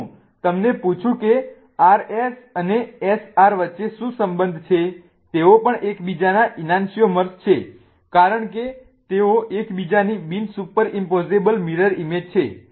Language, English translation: Gujarati, If I ask you what is the relationship between R S and SR, they are also enantiomers of each other because they are non superimposable mirror images of each other